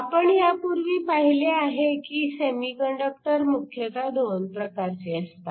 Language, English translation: Marathi, We have seen earlier that semiconductors are essentially 2 types